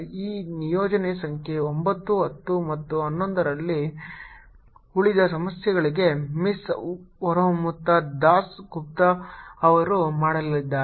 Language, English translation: Kannada, rest of the problems in this assignment, number nine, ten and eleven, are going to be done by miss horamita das gupta